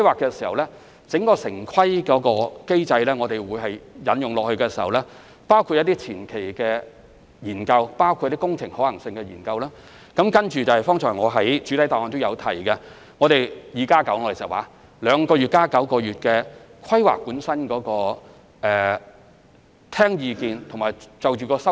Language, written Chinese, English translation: Cantonese, 在城市規劃機制下，當局會進行若干前期研究及工程可行性研究，然後正如我剛才在主體答覆所說，展示相關圖則兩個月，並在其後9個月就規劃進一步聽取意見和作出修訂。, Under the town planning mechanism the authorities will first conduct preliminary studies and engineering feasibility studies . After that as I just said in the main reply they will exhibit the relevant plans for two months and further invite public views and amend the plans in the following nine months